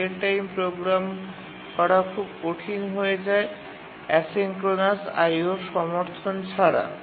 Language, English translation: Bengali, It becomes very difficult to program a real time task without the support of asynchronous I